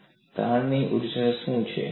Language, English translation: Gujarati, And what is the strain energy change